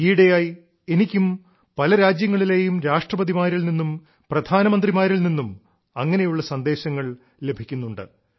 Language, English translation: Malayalam, These days, I too receive similar messages for India from Presidents and Prime Ministers of different countries of the world